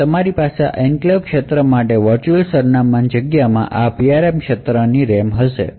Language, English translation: Gujarati, So, therefore you would now have a mapping for this enclave region within the virtual address space to this PRM region in the RAM